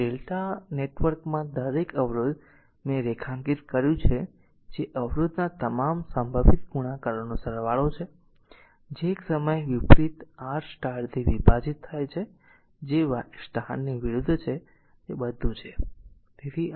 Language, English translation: Gujarati, So, each resistor in the delta network I made something underline, that is a sum of all possible products of star resistance take into 2 at a time divided by the opposite your Y resistance that opposite Y that that is all right